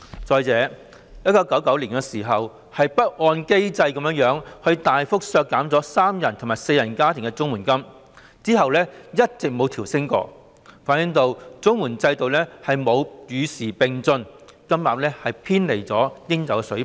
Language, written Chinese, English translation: Cantonese, 再者，政府曾在1999年不按機制大幅削減三人及四人家庭的綜援金額，其後亦一直沒有調升，這反映了綜援制度並沒有與時並進，金額偏離了應有水平。, Moreover in 1999 the Government cut the CSSA rates for three - person and four - person households substantially without adhering to the mechanism and subsequently no upward adjustment has ever been made . This reflects the fact that the CSSA system has failed to keep abreast of the times and the rates have deviated from the right levels